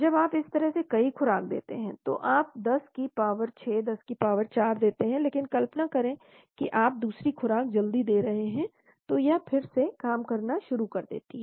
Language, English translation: Hindi, When you do multiple doses like this, so you give 10 power 6, power 4, but imagine you are giving the second dose quickly it comes in so again it starts acting